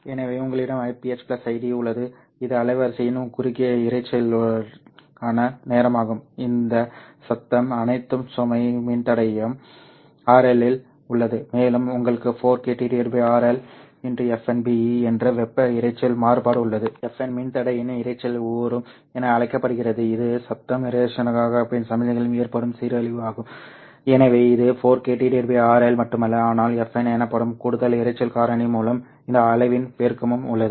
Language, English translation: Tamil, E that you have and all this noise is in the load register Rl plus you have the thermal noise variance which is 4 k t by rl into f n be where fn is called as the noise figure of the resistor it is the degradation in the signal to noise ratio that would be experienced so it's not just 4 k by RL, but there is a multiplication of this quantity by an additional noise factor called FN